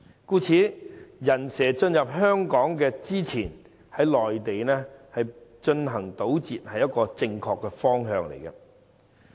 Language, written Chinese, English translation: Cantonese, 故此，在"人蛇"進入香港前，於內地進行堵截是一個正確的方向。, Therefore it will be a correct direction to intercept illegal entrants on Mainland before they can smuggle themselves into Hong Kong